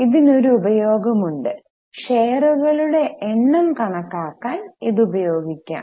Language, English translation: Malayalam, So, we can use it for calculating number of shares